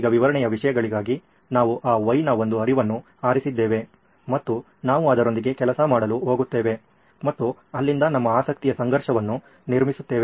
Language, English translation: Kannada, Now for illustration purposes, we have picked one flow of that Y and we are going to work with that and then build up our conflict of interest from there